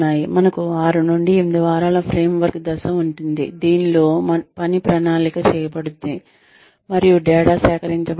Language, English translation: Telugu, We have the framework phase of 6 to 8 weeks, in which the work is planned, and data is collected